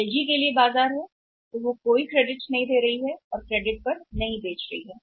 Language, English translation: Hindi, For LG there is a market so they are not giving any credit they are not selling on credit